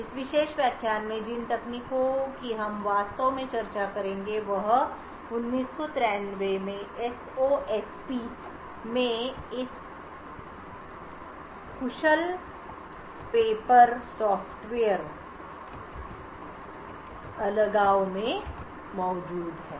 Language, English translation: Hindi, The techniques that we will be actually discussing in this particular lecture is present in this paper efficient Software Fault Isolation in SOSP in 1993